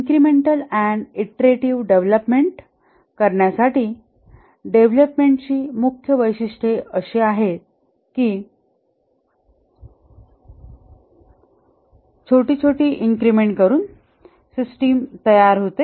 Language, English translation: Marathi, The key characteristics of the incremental and iterative development is that build the system incrementally, small parts of the system are built